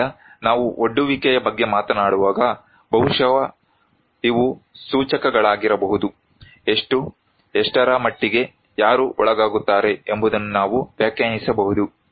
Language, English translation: Kannada, So, when we are talking about exposure, maybe these are indicators, we can define how many, what extent, who are exposed